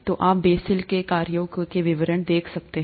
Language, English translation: Hindi, So you can look through the details of the Bessel’s functions